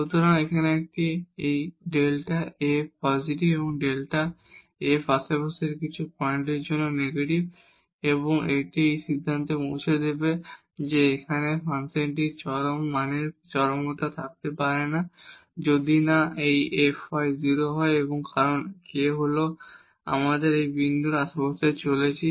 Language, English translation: Bengali, So, here this delta f is positive delta f is negative for some points in the neighborhood and that will conclude that the function cannot have an extreme value extremum here, unless this f y is 0 because k is we are moving in the neighborhood of this point